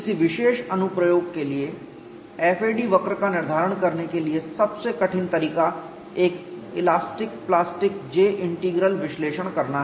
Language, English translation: Hindi, The most rigorous method to determine the FAD curves for a particular application is to perform an elastic plastic J integral analysis